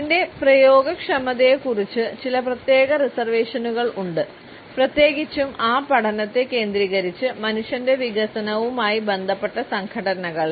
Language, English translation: Malayalam, There are certain reservations about its applicability particularly in those organisations, which are focused on learning and related with development of human beings